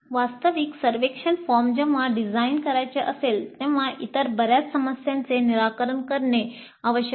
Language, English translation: Marathi, The actual survey form when we want to design, many other issues need to be resolved